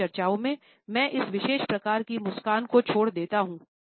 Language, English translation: Hindi, In my discussions, I would leave this particular type of a smile